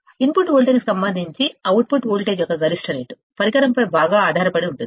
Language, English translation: Telugu, Maximum rate of change of output voltage with respect to the input voltage, depends greatly on the device